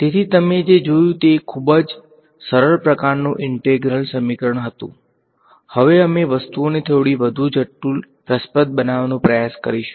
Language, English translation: Gujarati, So, what you looked at was a very simple kind of integral equation, now we’ll try to make things little bit more interesting